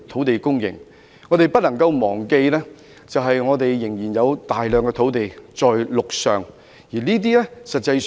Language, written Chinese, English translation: Cantonese, 然而，我們不能夠忘記的是，我們仍有大量陸上土地。, However there is one thing we must not forget . There is still a great deal of land onshore